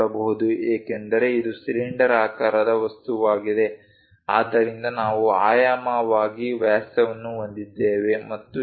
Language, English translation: Kannada, Because it is a cylindrical object that is a reason diameters and so on